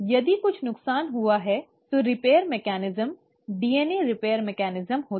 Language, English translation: Hindi, If at all some damage has happened, then the repair mechanism, the DNA repair mechanism happens